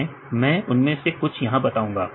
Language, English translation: Hindi, So, I explained few of them